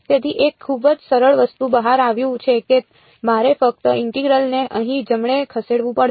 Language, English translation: Gujarati, So, turns out to be a very simple thing to do I just have to move the integral over here right